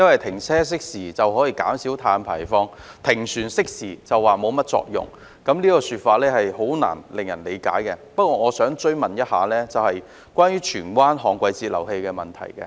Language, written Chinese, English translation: Cantonese, 停車熄匙便說可以減少碳排放，但停船熄匙卻說沒甚麼作用，這說法令人難以理解，但我想追問的是有關荃灣的旱季截流器的問題。, It is said that switching off idling vehicles can reduce carbon emissions but switching off idling vessels will not have much effect . Such a remark is incomprehensible . Nevertheless I would like to follow up on DWFIs in Tsuen Wan